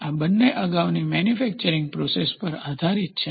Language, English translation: Gujarati, These two depends on the previous manufacturing process